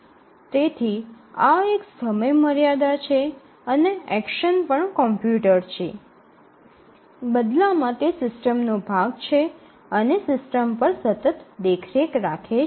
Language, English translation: Gujarati, So, there is a time constraint and the action and also the computer is part of the system and it continuously monitors the system